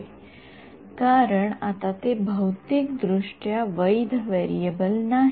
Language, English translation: Marathi, Yeah, because it’s not physically valid variable inside